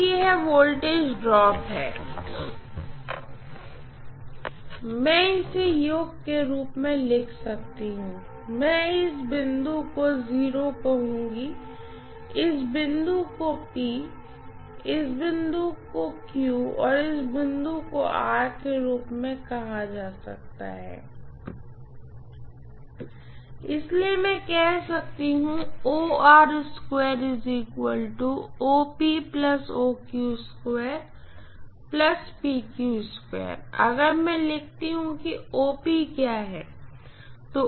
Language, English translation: Hindi, So this is what is the voltage is drop, I can write rather this as the summation of let me call this point as O, this point as P, this point as Q, this point as R, so I can say that OR square will be equal to OP plus OQ the whole square plus PQ square, right